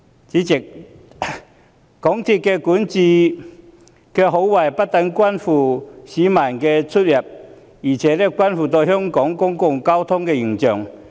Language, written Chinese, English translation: Cantonese, 主席，港鐵公司管治的好壞不但關乎市民出行，亦關乎香港公共交通的形象。, President whether MTRCLs governance is satisfactory concerns not only peoples travel but also the image of Hong Kongs public transport